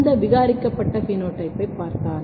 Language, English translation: Tamil, If you look this mutant phenotype